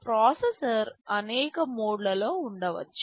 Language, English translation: Telugu, In addition the processor can be in many modes